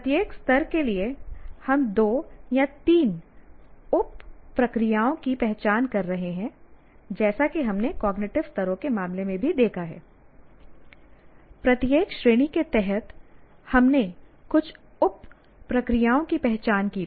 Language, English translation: Hindi, We, for each area, each level we are identifying two sub processes as we have seen in the case of cognitive level also under each category we had some sub processes identified